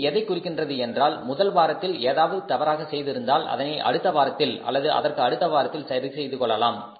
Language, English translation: Tamil, So, it means if there anything goes wrong in the wrong in the first week it, it can be corrected in the next week, in the next week or in the next week